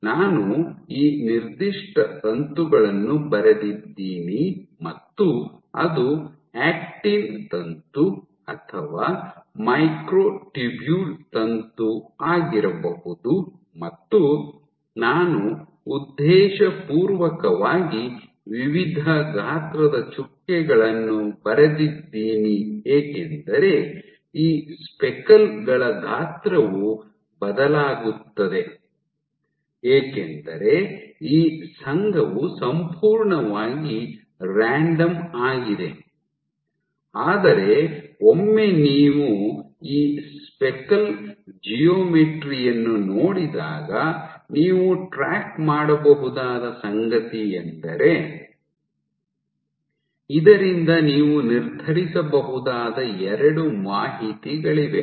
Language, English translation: Kannada, So, I have drawn this particular filament it might been actin filament or a microtubule filament which is, so I have intentionally drawn dots of various sizes because the chance or the size of these speckles will vary because this association is completely random, but once you see this speckle geometry what you can track there are two pieces of information that you can determine from this